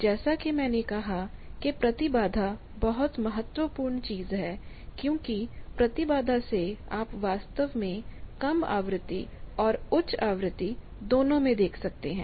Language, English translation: Hindi, Also as I said that impedance is a very important thing because by impedance actually you see both in low frequency and high frequency